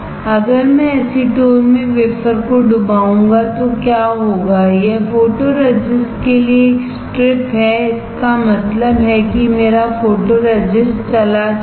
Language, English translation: Hindi, If I dip the wafer in acetone what will happen is a strip for photoresist; that means my photoresist will go